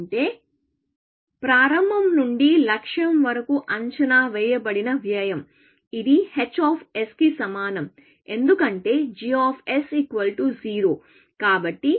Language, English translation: Telugu, That is the estimated cost from start to goal, as which is equal to h of s, because g of s is 0